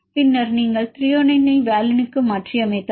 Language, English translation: Tamil, For example it is Thr this is mutated to valine